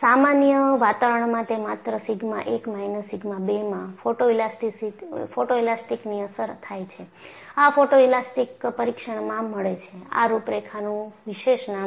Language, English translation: Gujarati, In a generic environment, it is only sigma 1 minus sigma 2 is sensitive to photoelastic effect and that is what you get in a photoelastic test, and these contours also have a special name